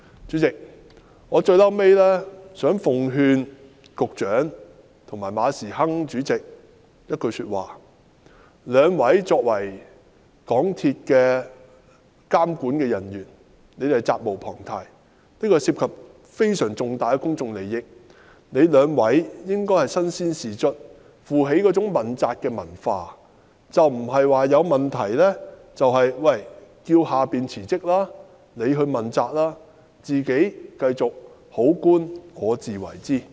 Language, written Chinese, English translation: Cantonese, 最後，代理主席，我想向局長及馬時亨主席奉勸一句話：兩位作為港鐵公司的監管人員，責無旁貸，這方面涉及非常重大的公眾利益，兩位應身先士卒，接受問責，而不是在出現問題時要求下屬問責辭職，自己則繼續"好官我自為之"。, Finally Deputy President I would like to give a piece of advice to the Secretary and Prof Frederick MA As supervisors of MTRCL they are duty - bound to tackle the issues . Since these issues involve substantial public interests they should come forward and be held accountable instead of asking their subordinates to resign on account of accountability in any incident while they themselves will be holding on to their decent jobs in their own ways